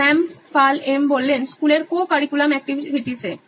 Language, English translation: Bengali, Shyam: Co curricular activities in school